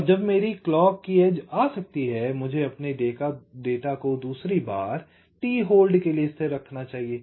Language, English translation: Hindi, and after my clock edge can come, i must continue to keep my data stable for another time